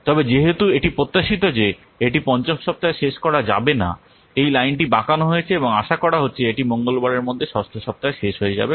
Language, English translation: Bengali, But since it is expected that it cannot be finished in week five, the line has been bended and it is expected that it will be over in sixth week maybe by Tuesday